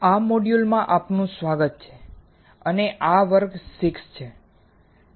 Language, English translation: Gujarati, Welcome to this module and these are class 6